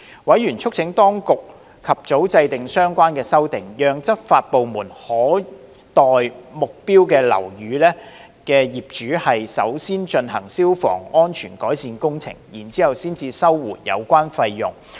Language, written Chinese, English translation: Cantonese, 委員促請當局及早制訂相關的修訂，讓執法部門可代目標樓宇業主先進行消防改善工程，然後收回有關費用。, Members urged the Administration for early formulation of the relevant amendments so that law enforcement departments can carry out fire safety improvement works for the owners of target buildings first and recover the fees incurred afterwards